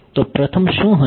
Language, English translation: Gujarati, So, what will be the first